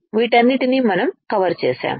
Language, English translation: Telugu, We have covered all of this